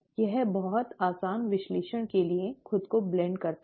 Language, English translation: Hindi, It blends itself to very easy analysis